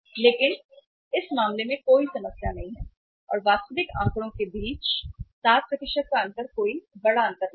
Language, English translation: Hindi, But in this case there is no problem at all; 7% difference between the estimated and the actual figures is not a big difference